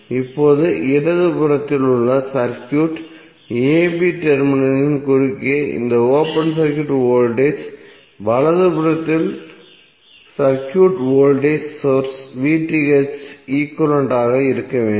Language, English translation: Tamil, Now this open circuit voltage across the terminal a b in the circuit on the left must be equal to voltage source VTh in the circuit on the right